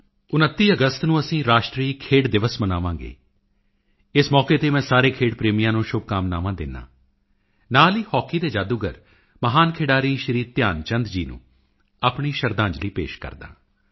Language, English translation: Punjabi, We shall celebrate National Sports Day on 29th August and I extend my best wishes to all sport lovers and also pay my tributes to the legendary hockey wizard Shri Dhyanchandji